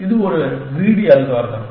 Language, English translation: Tamil, It is a greedy algorithm